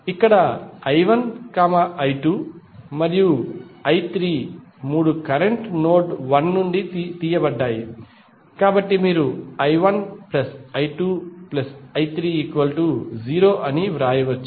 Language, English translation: Telugu, Here I 1, I 2, I 3 all three have taken out of the node 1, so you can simply write I 1 plus I 2 plus I 3 equal to 0